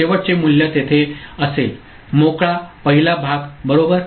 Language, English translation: Marathi, The last value will be there, clear, first part right